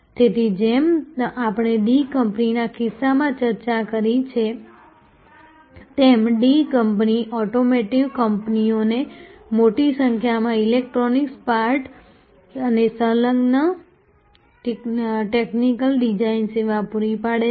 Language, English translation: Gujarati, So, as we discussed in case of D company the D company provides large number of electronic parts and associated technical design services to automotive companies